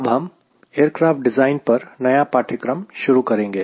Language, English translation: Hindi, now we are here to start a course on aircraft design